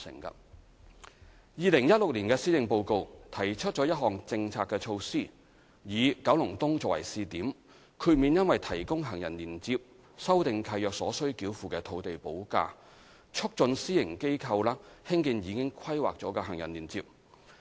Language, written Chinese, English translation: Cantonese, 2016年施政報告提出一項政策措施，以九龍東作為試點，豁免因提供行人連接修訂契約所須繳付的土地補價，促進私營機構興建已規劃的行人連接。, The 2016 Policy Address announced an incentive policy with Kowloon East as a pilot area to encourage the private sector to construct planned pedestrian links by way of waiving the land premium payable for lease modification for the provision of the pedestrian links